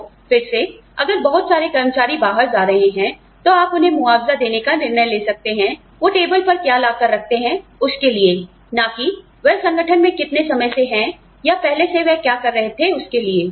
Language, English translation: Hindi, So, the need for, again, if too many employees are moving out, then you may decide, to compensate them for, what they bring to the table, and not so much, for how long they have been, in the organization, or what they have been doing, in the past